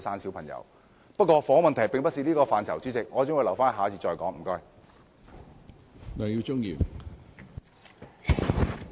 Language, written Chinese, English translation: Cantonese, 主席，由於房屋問題不屬於這個辯論環節，我會留待下一個辯論環節再談。, President as this debate session does not cover housing issues I will leave my discussion to the next debate session